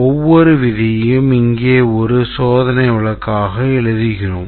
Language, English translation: Tamil, We write each rule here becomes one test case